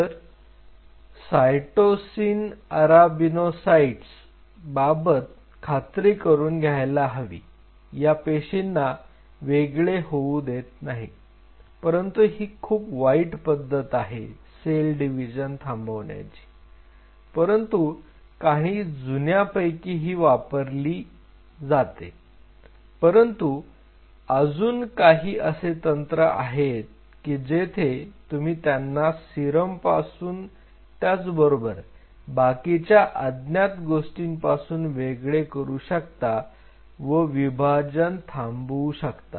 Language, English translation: Marathi, So, cytosine arabinocytes ensured that they do not separate out which is kind of a very ugly way of doing suppressing the cell division, but these are some of the very oldest techniques which are being used, but there are other techniques where you can deprive them from serum other unknown factors you can stop their division